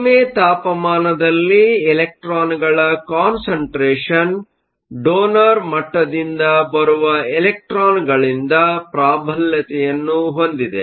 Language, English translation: Kannada, At low temperature, the concentration of electrons is dominated by those electrons that come from the donor level